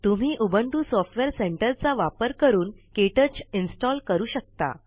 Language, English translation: Marathi, You can install KTouch using the Ubuntu Software Centre